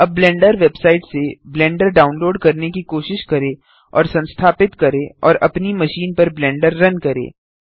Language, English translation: Hindi, Now try to download Blender from the Blender website and install and run Blender on your machine